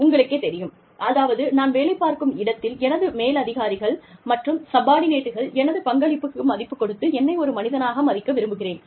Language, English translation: Tamil, You know, this is, i mean, i want my superiors and subordinates, to value my contribution, to respect me as a human being, in the place, where i work